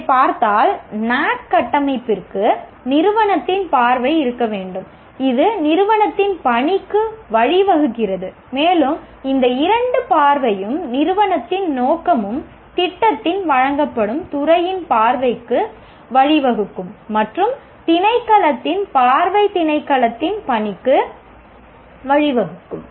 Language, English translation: Tamil, If you look at this, the NBA framework requires there has to be vision of the institute which leads to mission of the institute and these two together vision and mission of the institute should also lead to the vision of the department in which the program is given and vision of the department should lead to mission of the department